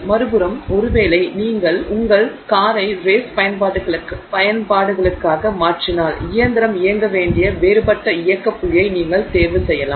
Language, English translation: Tamil, On the other hand maybe if you are converting your car for race applications, you may choose a different operating point where the engine should run